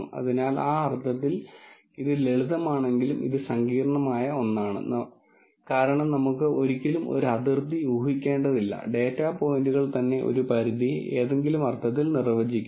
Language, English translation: Malayalam, So, in that sense, its, while it is simple it is also in something sophisticated, because we never have to guess a boundary, the data points themselves define a boundary in some sense